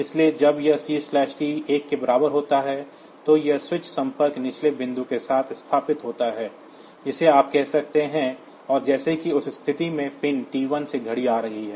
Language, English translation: Hindi, So, and when this C/T is equal to 1, then this switch this contact is established with the lower point you can say, and as if in that case the clock is coming from the pin T1